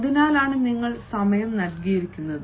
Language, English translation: Malayalam, that is why you have been provided with the time